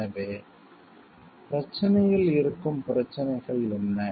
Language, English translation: Tamil, So, what are the issues which are present in the problem